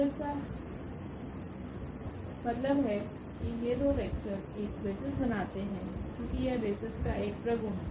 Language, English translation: Hindi, So; that means, these two vectors form a basis because, that is a property of the basis